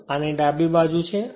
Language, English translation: Gujarati, So, left side of this